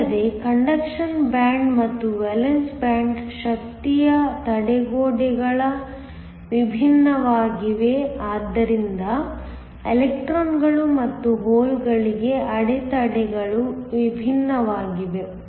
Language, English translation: Kannada, Also, the energy barriers are different for the conduction band and the valence band so the barriers are different for the electrons and holes